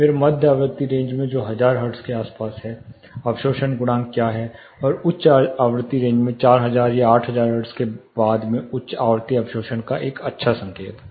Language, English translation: Hindi, Then in the mid frequency range that is around thousand hertz what is absorption coefficient, and in the high frequency range something after 4000, say 8000 hertz is a good indicator of high frequency absorption